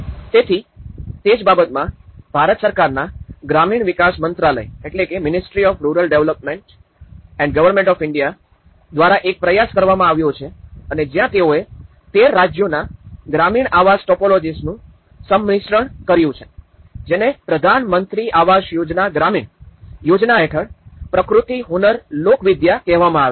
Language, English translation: Gujarati, So, that is where and there has been an effort by the Ministry of Rural Development and Government of India where they have issued a compendium of rural housing typologies of 13 states, this is called Prakriti Hunar Lokvidya under the Pradhan Mantri Awas Yojana Gramin scheme, this has been compiled as a kind of compendium of different rural housing technologies